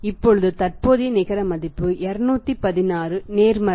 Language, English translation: Tamil, So, what is NPV now net present value is 216 positive